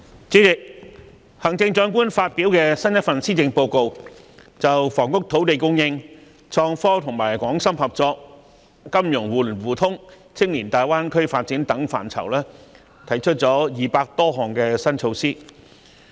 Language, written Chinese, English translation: Cantonese, 主席，行政長官發表新一份施政報告，就房屋、土地供應、創科、港深合作、金融互聯互通、青年大灣區發展等範疇提出了200多項新措施。, President in the latest Policy Address delivered by the Chief Executive over 200 new policy initiatives have been proposed in such areas as housing land supply innovation and technology cooperation between Hong Kong and Shenzhen mutual access between financial markets and youth development in the Guangdong - Hong Kong - Macao Greater Bay Area GBA